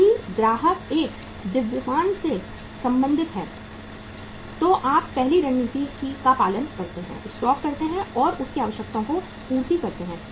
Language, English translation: Hindi, If the customers belong to a mass then you follow the first strategy, make to stock and serve his requirements